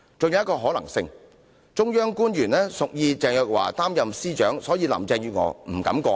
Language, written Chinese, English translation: Cantonese, 還有一個可能性是，中央官員屬意鄭若驊擔任司長，所以林鄭月娥不敢過問。, There is also another possibility and that is officials of the Central Government wanted Teresa CHENG to take up the post of Secretary for Justice and thus Carrie LAM dared not raise questions